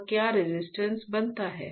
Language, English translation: Hindi, What else forms a resistance